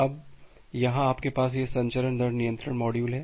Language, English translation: Hindi, Now, here you have this transmission rate control module